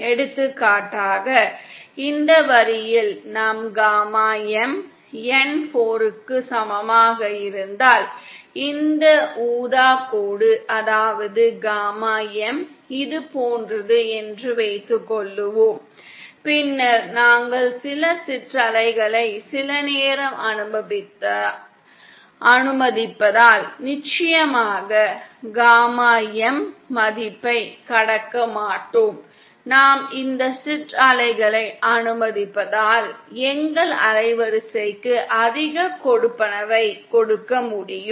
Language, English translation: Tamil, For example say if our gamma M is along this line for N equal to 4, this purple line, say our gamma M is like this, then because we are allowing some ripples never of course crossing the value of gamma M, because we are allowing these ripples we can give more allowance to our band width